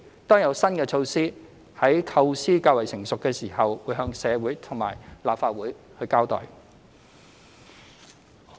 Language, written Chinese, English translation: Cantonese, 當有新的措施，在構思較成熟時，便會向社會及立法會交代。, We will brief the community and the Legislative Council after newly conceived measures have become more mature